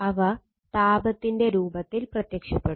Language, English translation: Malayalam, So, and appear in the form of heat right